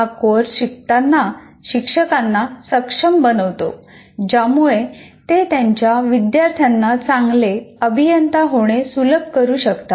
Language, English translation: Marathi, The course enables the teachers who in turn can facilitate their students to become a good engineer's